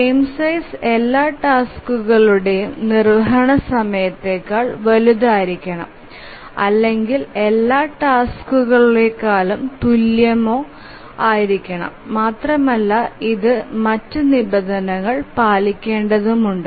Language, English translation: Malayalam, So the frame size must be larger than the execution time of all tasks, greater than equal to all tasks, and also it has to satisfy the other conditions